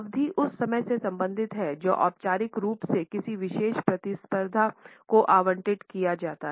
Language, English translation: Hindi, Duration is related with the time which is formally allocated to a particular event